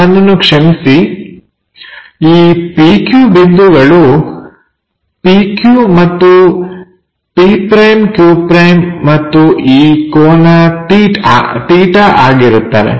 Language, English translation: Kannada, I am sorry this point supposed to be P Q points with p q, p’, and q’, and this angle is theta